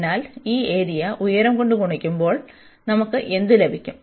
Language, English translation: Malayalam, So, what do we get, when we have this area here and then we have multiplied by some height